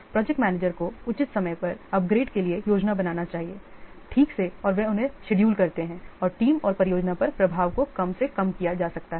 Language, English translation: Hindi, The project manager should plan for the upgrades at five time judiciously properly and the schedule them when the impact on the team and the project can be minimized